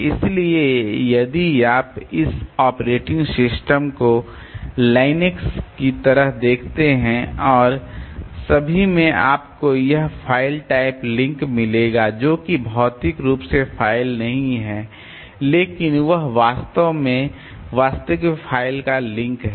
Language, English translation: Hindi, So, if you look into this operating systems like Linux and also you will find this file file type link so which is not physically the file but it is actually a link to the actual file